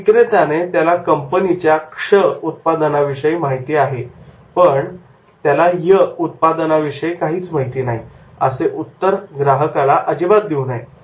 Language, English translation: Marathi, A salesman should not answer like this, that is the he is aware of the X product, but he is not aware of the Y product